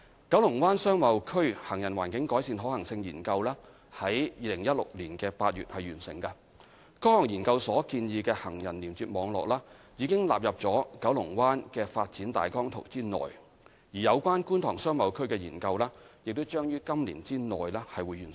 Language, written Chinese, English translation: Cantonese, 九龍灣商貿區行人環境改善可行性研究於2016年8月完成，該項研究所建議的行人連接網絡，已納入九龍灣發展大綱圖內；而有關觀塘商貿區的研究將於今年內完成。, The feasibility study for pedestrian environment improvement in KBBA was completed in August 2016 and the pedestrian link network proposed under the study has been incorporated into the Kowloon Bay Outline Development Plan ODP . The study for KTBA will be completed within this year